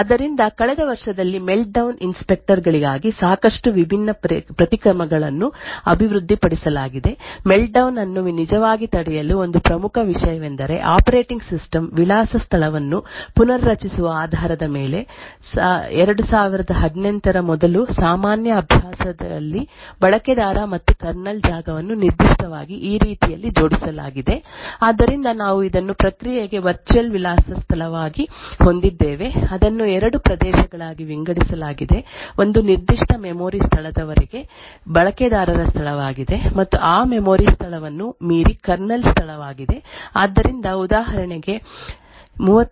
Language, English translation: Kannada, So in the last year there have been a lot of different countermeasures that have been developed for Meltdown inspectors one of the important thing to actually prevent Meltdown was based on restructuring the operating system address space so in the general practice prior to 2018 the user and kernel space was arranged in this particularly way so we had this as the virtual address space for a process it was divided into two regions a one was the user space up to a certain memory location and beyond that memory location was the kernel space so for example in a 32 bit Linux system this of boundary was at the location zero X C followed by seven zeros below this location was a user space and above this location was the kernel space